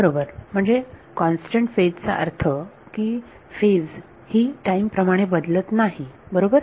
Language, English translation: Marathi, Right; so, constant phase means phase should not change with time right